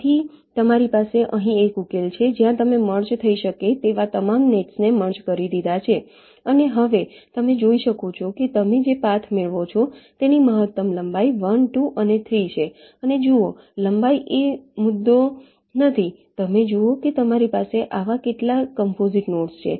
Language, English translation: Gujarati, so you have a solution here where you have merged all the nets that that are possible to merge, and you can see that now the maximum length of the path that you get is one, two and three, and see, length is not the issue